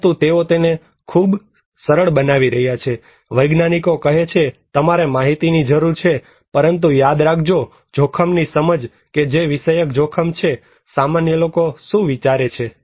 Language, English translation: Gujarati, So, but they are making it very simple, the scientists are saying that you need data but remember that risk perception that is subjective risk, what laypeople think